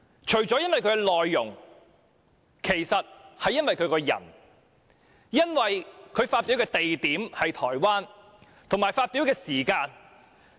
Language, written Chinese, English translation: Cantonese, 除了因為他發表的內容，其實是因為他這個人，以及他發表的地點是在台灣，還有發表的時間。, Apart from the contents of the speech presented by him the actual reason is that it is personally against him and the place he presented his speech was Taiwan coupled with the time of its presentation